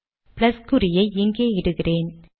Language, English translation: Tamil, Lets do this here, put the plus sign here